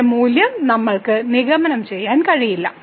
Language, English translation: Malayalam, We cannot conclude the value of this one